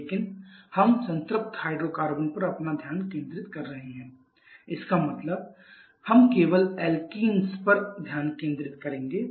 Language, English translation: Hindi, But we shall be restricting our focus on the saturated hydrocarbon that is we shall be focusing only on the alkenes